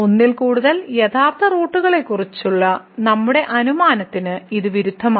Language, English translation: Malayalam, So, it contradicts our assumption of more than one real root